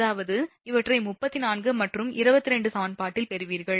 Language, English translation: Tamil, That means in equation from equation 34 and 28, you will get